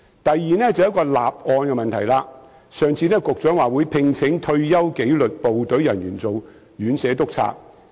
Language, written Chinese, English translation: Cantonese, 第二，就是立案的問題，上次局長表示會聘請退休紀律部隊人員做院舍督察。, The second problem is about filing a case . The Secretary said the other day that retired members of the disciplined services would be recruited as care home inspectors